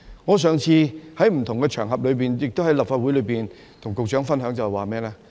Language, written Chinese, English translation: Cantonese, 我上次在不同場合，亦都在立法會與局長分享，一不留神......, I have shared my view with the Secretary in the Legislative Council last time on a different occasion